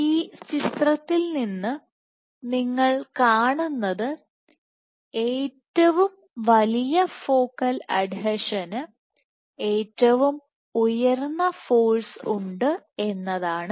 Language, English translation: Malayalam, So, what you see from this picture is that the biggest adhesion has the highest force